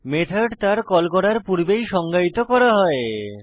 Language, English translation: Bengali, Methods should be defined before calling them